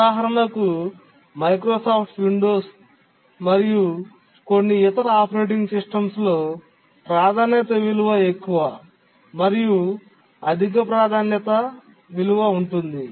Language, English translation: Telugu, For example, in Microsoft Windows and some other operating systems, the priority value is the higher the priority, the higher is the priority value